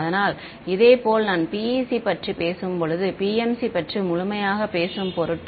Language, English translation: Tamil, So, similarly I just for sake of completeness where talk of PEC I also talk about PMC ok